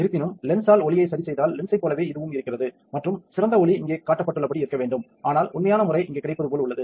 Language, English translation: Tamil, However, this is just like a lens is there if it will light is corrected by the lens and the ideal light pattern should be as shown here, but the actual pattern is what we get is as shown here right